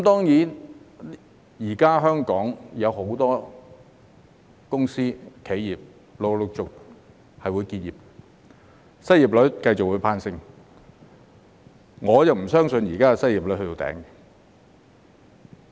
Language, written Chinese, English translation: Cantonese, 現時，香港有很多公司、企業會陸續結業，失業率亦會繼續攀升，我不相信現時的失業率已到頂點。, At present many companies and enterprises in Hong Kong will gradually close down one after another and the unemployment rate will continue to rise . I do not believe the current unemployment rate has reached its peak